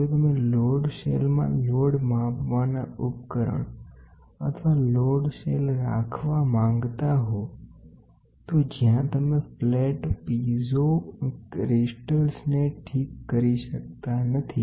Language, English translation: Gujarati, If you want to have a load measuring device or a load cell at then in a load cell, if the operation, what do you do is slightly peculiar where in which you cannot fix the flat piezo crystals